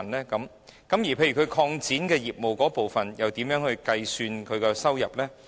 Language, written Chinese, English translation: Cantonese, 例如經營者擴展業務時，應如何計算其收入呢？, For example how should the amount of trading receipts be determined for operators who have expanded their business?